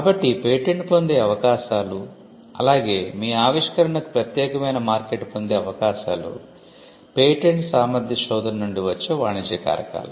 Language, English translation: Telugu, So, the chances of obtaining a patent as well as the chances of getting an exclusive marketplace for your invention will be the commercial reasons that will come out of a patentability search